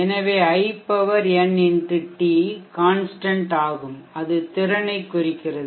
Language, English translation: Tamil, So this we can say in x t is = constant and that constant is representing the capacity